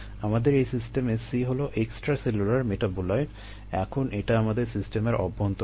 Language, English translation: Bengali, here c is a extracellular metabolite inside it system